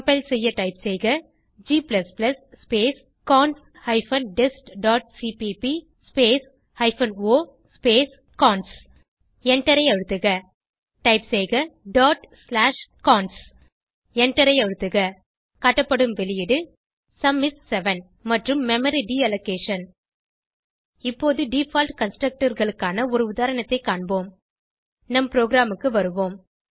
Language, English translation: Tamil, To compile type, g++ space cons hyphen dest dot cpp space hyphen o space cons Press Enter Type dot slash cons Press Enter The output is displayed as Sum is 7 and Memory Deallocation Now let us see an example on Default constructors